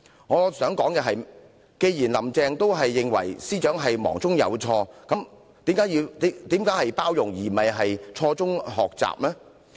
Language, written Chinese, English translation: Cantonese, 我想說的是，既然"林鄭"也認為司長是忙中有錯，那為甚麼要包容她，而不是讓她從錯誤中學習？, Since Carrie LAM also thinks that the Secretary for Justice has erred in haste why should she urge tolerance but not let Teresa CHENG learn from mistakes?